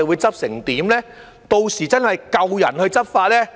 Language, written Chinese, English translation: Cantonese, 屆時是否真的有足夠人手執法呢？, Will there really be adequate manpower to enforce the law by then?